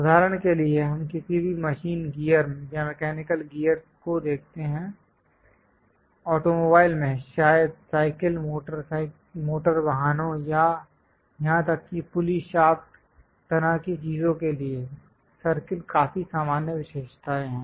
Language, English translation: Hindi, For example, let us look at any machine gear or mechanical gears; in automobiles, perhaps for cycle, motor vehicles, even pulley shaft kind of things, the circles are quite common features